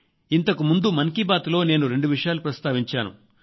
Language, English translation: Telugu, In the last edition of Mann Ki Baat I talked about two things